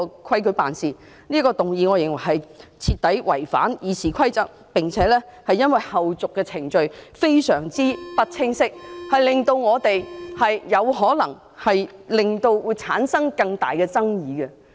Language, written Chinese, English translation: Cantonese, 我認為他這項議案徹底違反《議事規則》，並且因為相關後續程序非常不清晰，令我們......有可能會產生更大的爭議。, I think his motion has completely violated RoP and because of the uncertainties about the subsequent procedures concerned it has made us may give rise to greater controversy